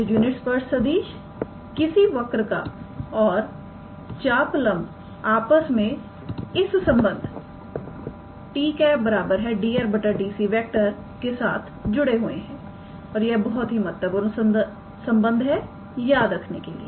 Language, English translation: Hindi, So, the unit tangent vector the curve and the arc length is related with that relation that t cap equals to dr ds and its also a very important relation to remember alright